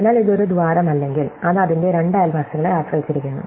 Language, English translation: Malayalam, So, if it is not a hole, it depends on its two neighbors